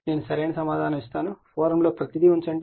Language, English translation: Telugu, I will give you the correct answer, but put everything in the forum